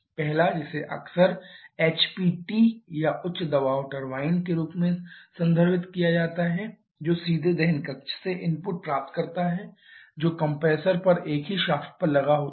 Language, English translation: Hindi, The first one which is often referred as HPT or high pressure turbine which directly receives the input from the combustion chamber that is mounted on the same shaft on the as mean as a compressor